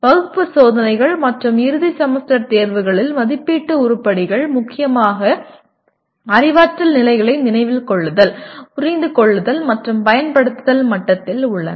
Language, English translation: Tamil, Assessment items in class tests and end semester examinations dominantly belong to the Remember, Understand and Apply cognitive levels